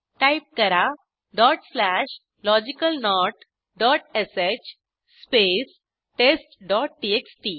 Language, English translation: Marathi, Now type dot slash logicalNOT dot sh space test dot txt press Enter